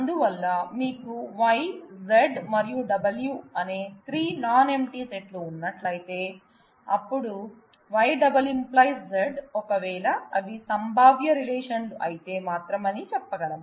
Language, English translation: Telugu, So, this is just to tell you if you have 3 non empty sets of attributes Y, Z and W and then we say, Y multi determine Z, if and only if there are these are the possible relations